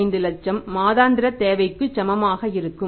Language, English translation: Tamil, 30 lakhs so that is equal to one week's requirement